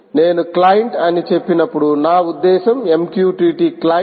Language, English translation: Telugu, when i say client, i mean mqtt, client